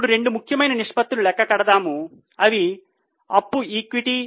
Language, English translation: Telugu, Now let us calculate two important ratios that is debt equity and current ratio